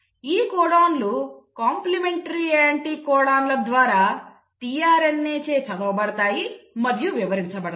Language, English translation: Telugu, The codons are read and interpreted by tRNA by the means of complementary anticodon